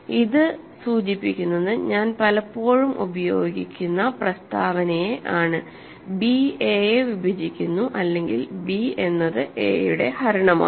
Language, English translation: Malayalam, So, that in future it will be clear to you, we say that b divides a or b is a divisor of a